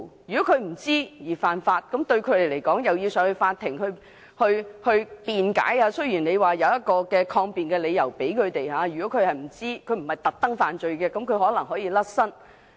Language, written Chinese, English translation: Cantonese, 如果因不知情犯法而要到法庭辯解，雖然有抗辯的理由，解釋是不知情而不是刻意犯罪，可能可以脫身。, Even though it is a reasonable defence that they commit such crimes unintentionally without their knowledge and they may be able to walk free